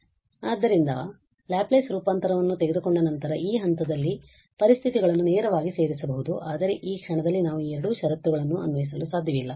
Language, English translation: Kannada, So, here these conditions can be incorporated directly at this point after taking the Laplace transform but these two conditions are we cannot apply at this moment